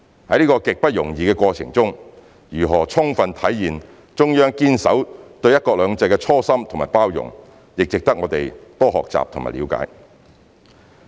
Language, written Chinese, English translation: Cantonese, 在這個極不容易的過程中，如何充分體現中央堅守對"一國兩制"的初心和包容，也值得我們多學習和了解。, This uphill battle which fully reflects the Central Governments commitment to keep its original aspiration and its forbearance in the implementation of one country two systems is worthy of our learning and understanding